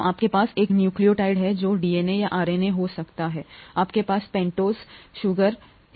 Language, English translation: Hindi, So you have a nucleotide which could be a DNA or a RNA, you have a pentose sugar